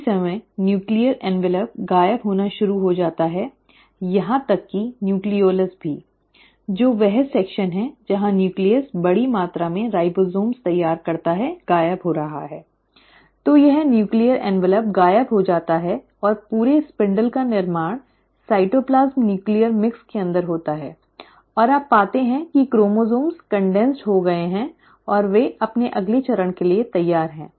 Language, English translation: Hindi, At the same time, the nuclear envelope, right, starts disappearing, even the nucleolus, which is the section where the nucleus prepares a large amount of ribosomes is also disappearing, so it is like the nuclear envelope disappears and the entire spindle formation happens within the cytoplasm nuclear mix, and you find that the chromosomes have condensed and they are now ready for the next step